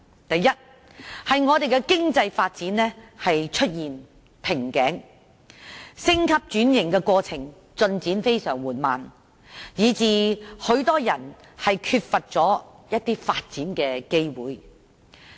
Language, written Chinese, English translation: Cantonese, 第一，是經濟發展出現瓶頸，升級轉型的過程進展非常緩慢，以致很多人缺乏發展機會。, First economic development has reached its bottleneck and the upgrading and restructuring process is very slow with the result that many people are lack of development opportunities